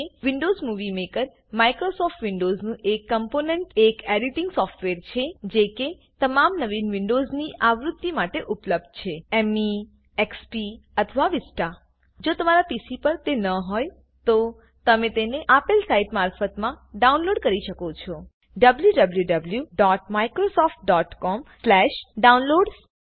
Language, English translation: Gujarati, Windows Movie Maker, a component of Microsoft Windows, is an editing software that is available for all the latest Windows versions – Me, XP or Vista If you do not have it on your PC, you can download it free of cost from the site www.microsoft.com/downloads